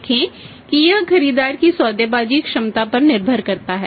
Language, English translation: Hindi, That it depends upon the bargaining capacity of the buyer also